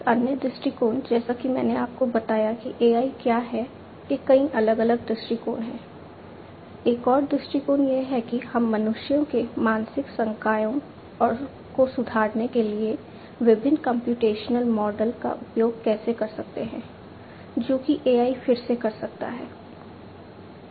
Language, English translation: Hindi, Another viewpoint as I told you that there are many different viewpoints of what AI is; another viewpoint is how we can use how we can use the different computational models to improve the mental faculties of humans is what again AI can do